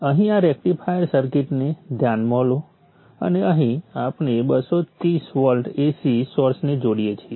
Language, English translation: Gujarati, Consider this rectifier circuit here and this is where we connect the source, the 230 volt AC